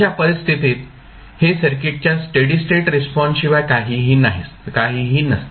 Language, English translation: Marathi, In that case this would be nothing but steady state response of the circuit